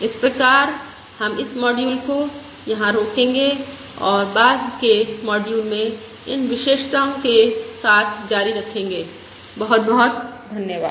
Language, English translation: Hindi, So we will stop this module here and continue with other properties in the subsequent modules